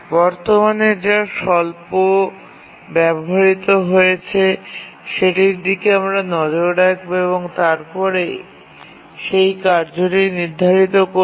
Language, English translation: Bengali, We look at the one which is currently the least utilized and then assign the task to that